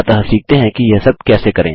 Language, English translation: Hindi, So lets learn how to do all of this